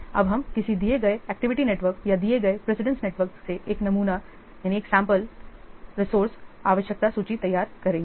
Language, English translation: Hindi, Now we will prepare a sample resource requirement list from a given activity network or a given precedence network